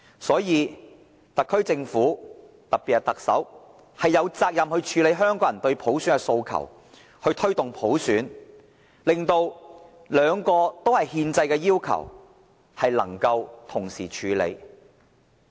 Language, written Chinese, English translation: Cantonese, 因此，特區政府，特別是特首，有責任處理香港人對普選的訴求，要推動普選，令兩個憲制要求能夠同時處理。, The SAR Government especially the Chief Executive is thus obliged to address Hong Kong peoples demand for universal suffrage and to take forward universal suffrage so as to handle the two constitutional obligations at the same time